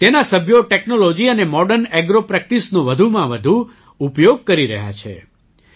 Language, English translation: Gujarati, Its members are making maximum use of technology and Modern Agro Practices